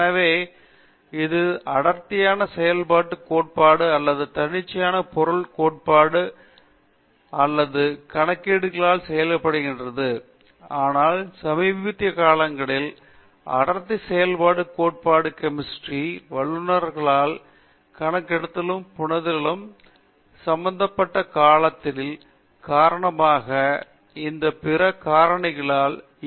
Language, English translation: Tamil, So, this is done by density functional theory or self consistent fuel theory or calculations, but the recent times density functional theory has over run all these other things because of the time involved in the computation and also comprehension by the chemists